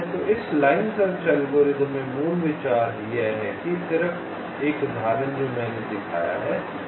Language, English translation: Hindi, so in this line search algorithm, the basic idea is that just the example that i have shown